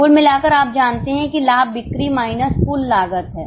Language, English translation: Hindi, Overall you know that profit is sales minus total cost